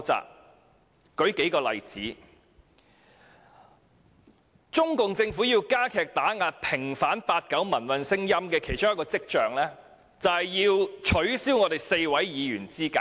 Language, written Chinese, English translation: Cantonese, 讓我舉數個例子，中共政府為了加強打壓要求平反八九民運的聲音，致力取消4位議員的資格。, Let me cite a few examples . In order to suppress the voices calling for vindication of the 1989 pro - democracy movement the CPC Government has striven to disqualify four Legislative Council Members